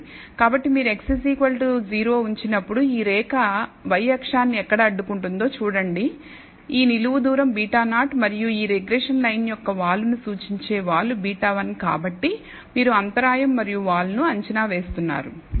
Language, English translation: Telugu, So, when you put x is equal to 0 and you look at where this line intercepts the y axis this vertical distance is beta 0 and the slope, which represents the slope of this regression line that is beta 1 so, your estimating the intercept and slope